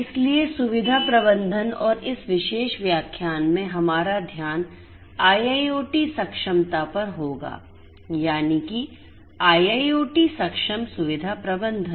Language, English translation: Hindi, So, facility management and in this particular lecture our focus will be on IIoT enablement so, IIoT enabled facility management